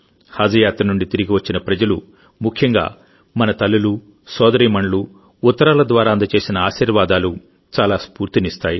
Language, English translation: Telugu, The blessing given by the people who have returned from Haj pilgrimage, especially our mothers and sisters through their letters, is very inspiring in itself